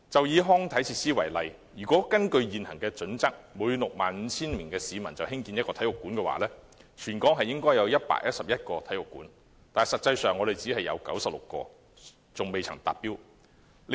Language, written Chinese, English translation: Cantonese, 以康體設施為例，根據現行準則，每 65,000 名市民興建1個體育館，全港應有111個體育館，目前只有96個尚未達標。, According to the current HKPSG one sports stadium should be built per 65 000 residents . Thus there should be 111 sports stadia in Hong Kong . The provision of only 96 stadia at present has fallen short of the target